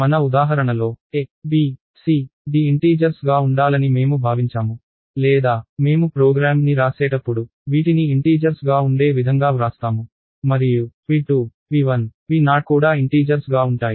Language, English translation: Telugu, So, in our example we expected a, b, c, d to be integers or we wrote the program to be in such a way that they are integers and p 2, p 1, p0 are also integers